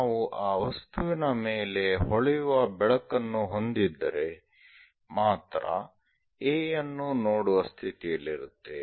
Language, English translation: Kannada, Only we will be in a position to see A if we are having a shining light on to that object